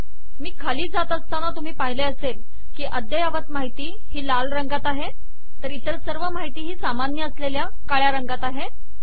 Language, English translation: Marathi, As I go down you see that the latest information is in red all others are in the default color namely black